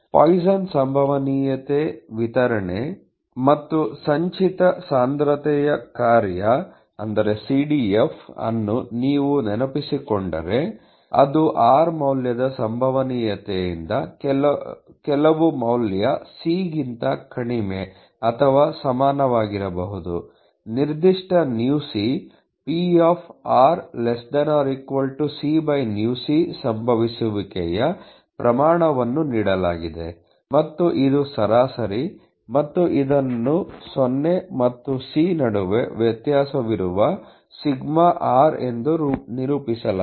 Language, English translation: Kannada, If you may recall the Poisson’s probability distribution had a cumulative density function CDF which was provided by the probability of the value r to be less than or equal to some value c given a certain µc rate of occurrence, and which is the average and which was represented as sigma r varying between 0 and c e to the power of µc by factorial r